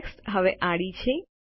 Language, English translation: Gujarati, The text is now horizontal